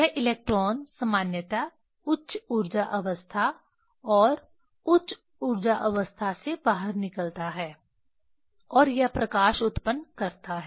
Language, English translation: Hindi, This electron generally it is exited to the higher energy state and higher energy state and it produce the light